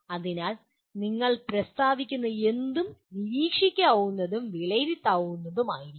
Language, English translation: Malayalam, So anything that you state should be observable and assessable